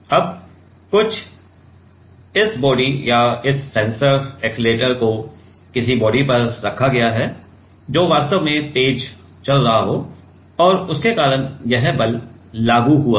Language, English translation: Hindi, Now, some this body, this body or this sensor accelerator has been kept on some body which is actually accelerating and because of that this force has applied right